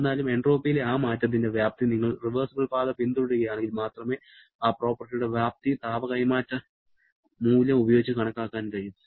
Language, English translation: Malayalam, However, the magnitude of that change in entropy, magnitude of that property can be calculated using the heat transfer value only if you are following a reversible path